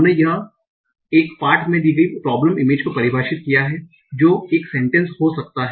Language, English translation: Hindi, We defined the problem as given a text that can be a sentence